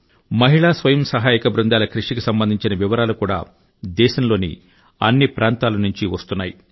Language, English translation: Telugu, Numerous stories of perseverance of women's self help groups are coming to the fore from all corners of the country